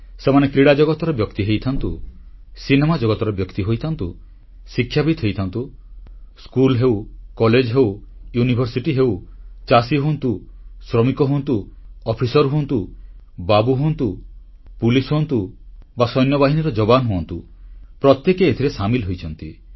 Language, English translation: Odia, Whether it be people from the sports world, academicians, schools, colleges, universities, farmers, workers, officers, government employees, police, or army jawans every one has got connected with this